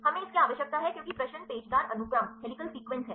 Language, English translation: Hindi, We need the because the question is helical sequence